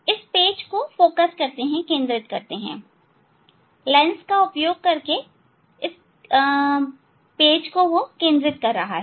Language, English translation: Hindi, they are focusing this page, this focusing is using the lens, in camera what is there